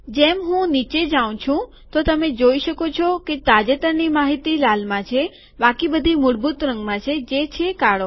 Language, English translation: Gujarati, As I go down you see that the latest information is in red all others are in the default color namely black